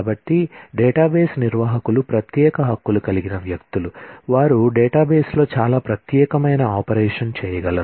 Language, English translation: Telugu, So, database administrators are people with specialized rights, who can do a lot of privileged operation on the database